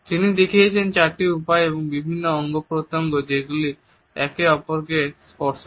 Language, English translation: Bengali, He has illustrated four ways and different body parts can touch each other